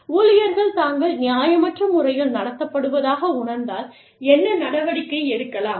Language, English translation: Tamil, And, what action, can employees take, if they feel, they have been treated unfairly